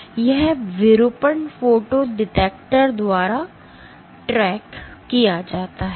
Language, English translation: Hindi, So, and this deformation is what is tracked by the photo detector